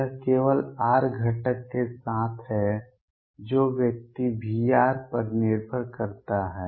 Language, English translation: Hindi, It is only with r component that the person that depends on V r